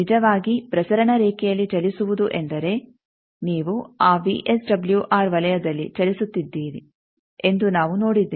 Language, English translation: Kannada, We have seen that actually moving on the transmission line means you are moving on that VSWR circle